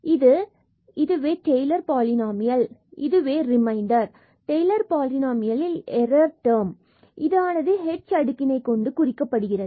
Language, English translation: Tamil, So, this is this is called the Taylor’s polynomial and then this is the remainder the error term in this Taylor’s polynomial which is denoted by the h power